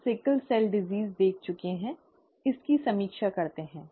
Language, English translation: Hindi, We have already seen the sickle cell disease; let us review this